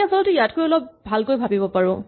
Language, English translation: Assamese, We can actually do a little better than this